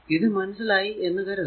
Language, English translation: Malayalam, So, I hope you have got it this right